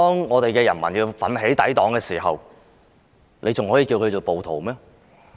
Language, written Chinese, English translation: Cantonese, 我想請問，當人民奮起抵擋，還可以稱他們為暴徒嗎？, When people rose vigorously for defiance could they be called rioters?